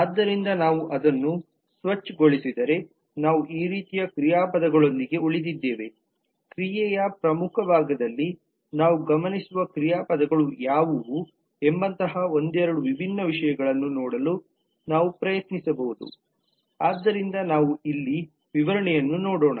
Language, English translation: Kannada, so if we do that clean up then we are left with these kinds of verbs on which again we can try to look into couple of different things like what are the verbs that we observe in very core part of the action so maybe i could take a look at the specification here